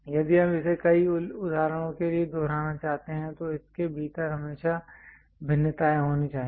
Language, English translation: Hindi, If you want to repeat it multiple objects you would like to create there always be variations within that